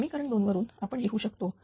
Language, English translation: Marathi, So, this is equation 1, right